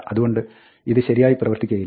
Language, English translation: Malayalam, So, this does not work, right